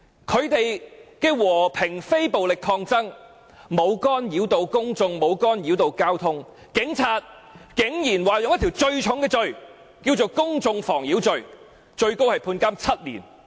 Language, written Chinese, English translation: Cantonese, 他們的和平非暴力抗爭，沒有干擾公眾也沒有干擾交通，但警察竟然以最嚴重的公眾妨擾罪拘捕他們，最高刑罰為監禁7年。, Their protest was peaceful and non - violent without causing disturbance to the public or disrupting the traffic; yet the Police arrested them for the most serious offence of causing public nuisance for which the maximum penalty is imprisonment for seven years